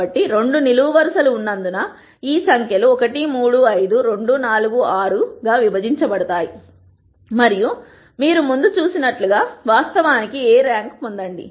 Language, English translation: Telugu, So, since there are two columns, these numbers will be partitioned into 1, 3, 5, 2, 4, 6 and as we saw before you can actually get the rank of A